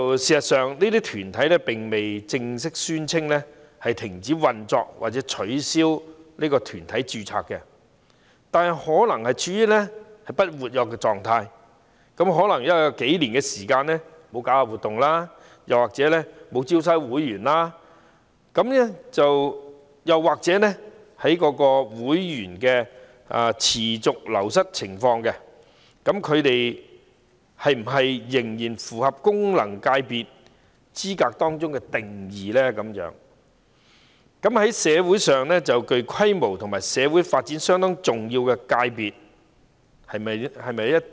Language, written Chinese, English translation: Cantonese, 事實上，這些團體並未正式宣稱停止運作或取消團體註冊，但可能處於不活躍的狀態，有數年時間沒有舉辦活動或招收會員，又或有會員持續流失的情況，那麼是否仍然符合功能界別的資格定義，即"在社會上具規模及社會發展相當重要的界別"？, In fact these corporates have not formally claimed the cessation of operation nor cancelled their registration; they might be in an inactive state without holding any activity or recruiting new members for several years or the number of members is declining . As such do such corporates still meet the definition of FCs ie . sectors which are substantial and important to the development of the community?